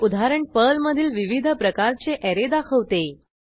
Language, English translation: Marathi, This example shows the various types of arrays in Perl